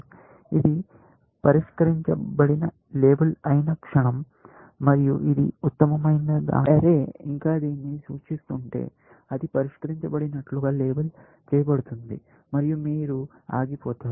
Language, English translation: Telugu, The moment it gets labeled solved, and if this is the best one, if the arrow still pointing to this; that will get labeled solved and then, you will stop